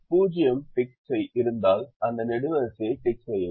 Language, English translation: Tamil, if there is a zero, tick that column